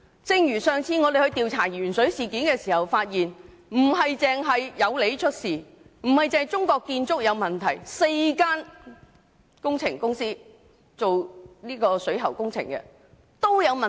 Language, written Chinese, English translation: Cantonese, 正如我們在調查鉛水事件時發現，不單有利建築有問題，也不止是中國建築有問題，而是4間負責水喉工程的公司皆有問題。, Similarly when we investigated the lead - in - water incident we found that the problems did not merely arise in Yau Lee Construction Company Limited and China State Construction International Holdings Limited but also in the four contractors responsible for the plumbing works